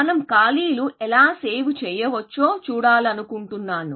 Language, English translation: Telugu, We want to look at how we can save on spaces